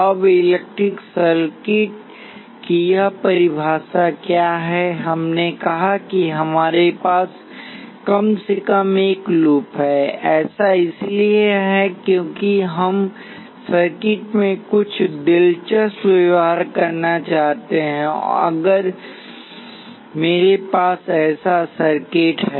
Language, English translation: Hindi, Now what is this definition of electrical circuit, we said that we have to have at least one loop so that is because we want to have some interesting behavior in the circuit that is if I have a circuit such as this